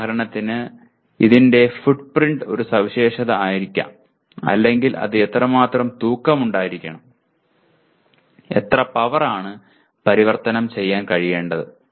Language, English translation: Malayalam, For example, it may have a, what do you call specification on the footprint or how much it should weigh, what is the power it should be able to convert